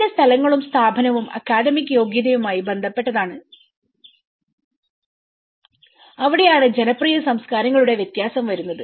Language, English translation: Malayalam, And its places and institutional is more to do with the academic credential that is where the difference of the popular cultures comes up